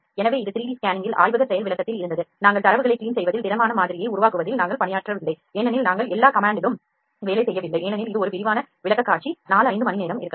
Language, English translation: Tamil, So, this was all in the laboratory demonstration on 3D scanning we have not worked on the data cleaning and generating the solid model completely we have not worked on all the command because, that would have an extensive presentation of may be 4 5 hours